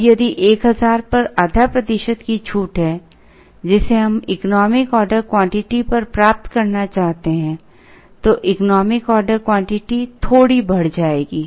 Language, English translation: Hindi, Now if there is a half a percent discount at 1000 that we wish to avail at the economic order quantity, then the economic order quantity will shift a little bit